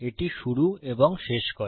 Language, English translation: Bengali, This starts and this ends